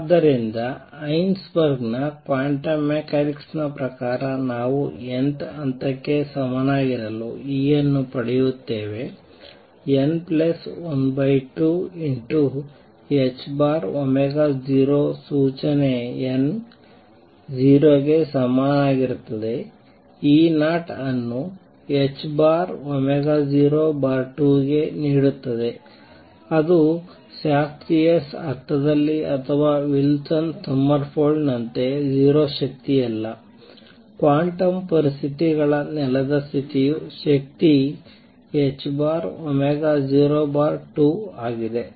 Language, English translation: Kannada, So, according to Heisenberg’s quantum mechanics then we get E for the nth level to be equal to n plus a half h cross omega 0 notice n equal to 0 gives E 0 to the h cross omega 0 x 2 it is not 0 energy as in the classical sense or even in Wilsons Sommerfeld quantum conditions the lowest energy the ground state energy is h cross omega 0 by 2